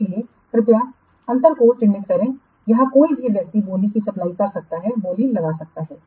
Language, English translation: Hindi, So please make the difference here anybody else can else can supply the bid, can court the bid